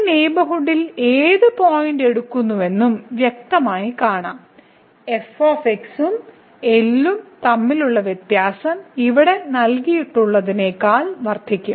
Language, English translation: Malayalam, So, it is clearly visible that you take any point in this neighborhood here and then, the difference between the and this will increase than the given epsilon here